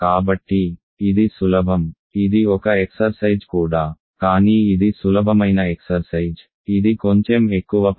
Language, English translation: Telugu, So, this is easy, this an exercise this also an exercise, but it is an easy exercise this is slightly more work